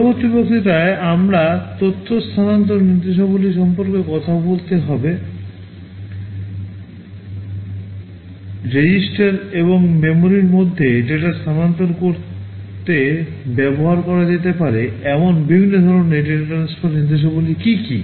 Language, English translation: Bengali, In the next lecture, we shall be talking about the data transfer instructions; what are the various kinds of data transfer instructions that can be used to transfer data between registers and memory